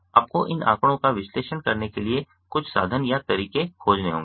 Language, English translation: Hindi, you have to find some means or methods to analyze these data generally